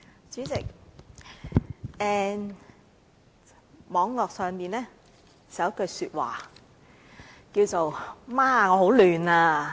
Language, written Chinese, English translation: Cantonese, 主席，網絡上有句話："媽，我很混亂啊！, President there is this popular exclamation on the Internet and it goes Gosh! . I am so confused!